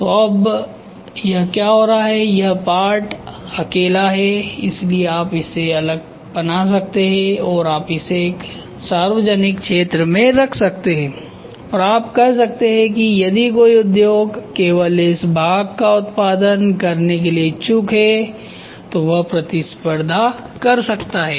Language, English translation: Hindi, So, now, what is happening is this part alone so you can manufacture it separately and you can put it in a public domain and say if any industry is interested to produce only this part can compete